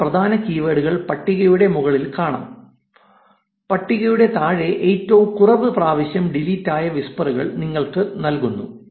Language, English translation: Malayalam, The top points 50 keywords that are in the top, the bottom of the table gives you the bottom that was there on the deleted whispers